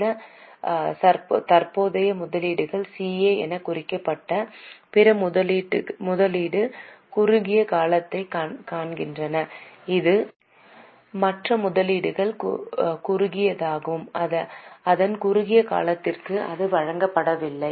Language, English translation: Tamil, There were some current investments, see other investments short term which were marked as CA and this one is other investments short, it is not given its short term so most is long term